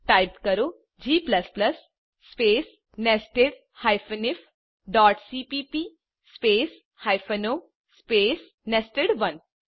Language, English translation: Gujarati, Type: g++ space nested if.cpp space o space nested1